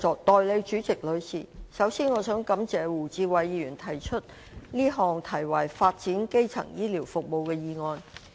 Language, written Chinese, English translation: Cantonese, 代理主席，首先，我想感謝胡志偉議員提出這項題為"發展基層醫療服務"的議案。, Deputy President first of all I want to thank Mr WU Chi - wai for moving this motion of Developing primary healthcare services